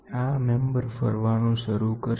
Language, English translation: Gujarati, This member will start rotating